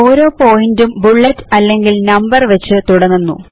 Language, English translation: Malayalam, Each point starts with a bullet or a number